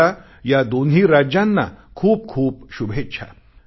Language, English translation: Marathi, I wish the very best to these two states